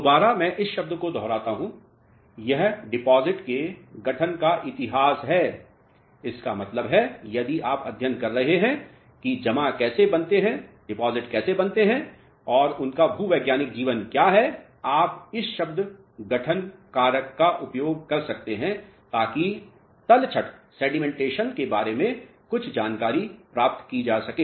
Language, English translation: Hindi, Again, I repeat the word this is history of formation of a deposit; that means, if you are studying how deposits are formed and what is their life, geological life you can use this term formation factor to derive some information about the sedimentation and so on ok